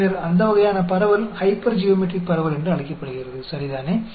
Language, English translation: Tamil, Then, that sort of distribution is called the hypergeometric distribution, ok